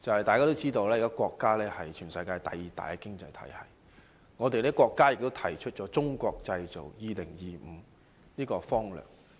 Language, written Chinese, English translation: Cantonese, 大家也知道，我們國家現時是全球第二大經濟體系，我們國家亦提出了"中國製造 2025" 的方略。, As we all know our country is currently the second largest economy in the world . Our State has also espoused the Made in China 2025 strategy